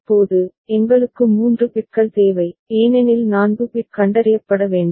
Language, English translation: Tamil, Now, we need 3 bits, because 4 bit is to be detected